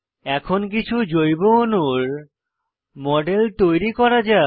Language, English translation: Bengali, Lets now proceed to create models of some simple organic molecules